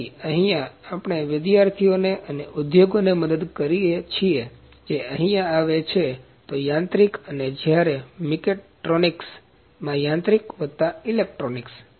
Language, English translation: Gujarati, So, here we help the students to or the industries those come here, to in mechanical as when in mechatronics, mechanical plus electronics